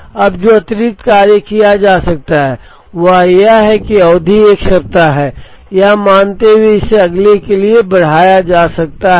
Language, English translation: Hindi, Now, the additional thing that can be done is, this can be extended for the next, assuming that the period is a week